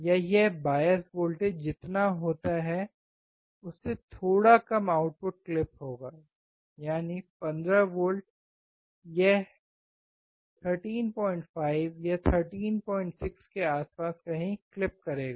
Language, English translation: Hindi, Or it will be the output clip little bit less than what the bias voltage is, that is 15 volts it will clip somewhere around 13